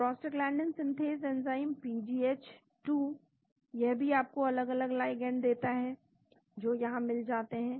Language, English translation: Hindi, The Prostaglandin synthase enzyme PGH2, it also gives you different ligands that are found here